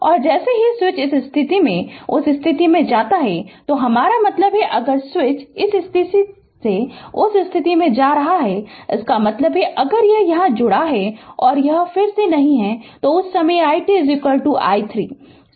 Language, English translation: Hindi, And as soon as switch moves from this position to that position I mean, if the switch is moving from this to that; that means, if it is connected here and it is not there, at that time i t is equal to i 0 right